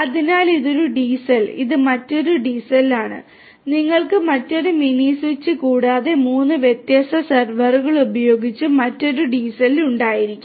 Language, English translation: Malayalam, So, this is one DCell this is another DCell, you can have another DCell with another mini switch and three different servers in the likewise manner